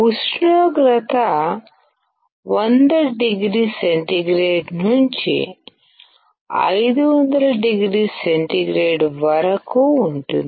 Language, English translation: Telugu, The temperature is around 100oC to 500oC